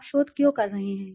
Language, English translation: Hindi, Why you are doing the research